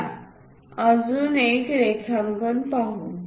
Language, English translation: Marathi, Let us look at other drawing